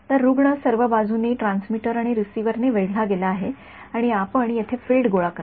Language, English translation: Marathi, So, patient is surrounded on all sides by transmitters and receivers and you collect the field over here